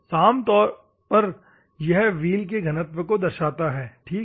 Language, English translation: Hindi, Normally it specified the density of the wheel, ok